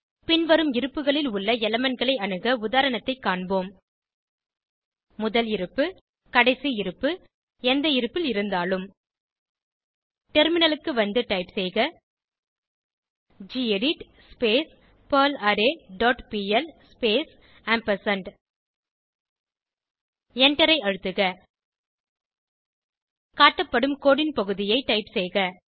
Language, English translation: Tamil, Let us look at an example for accessing elements of an array at First Position Last Position Any position Switch to the terminal and type gedit perlArray dot pl space ampersand and press Enter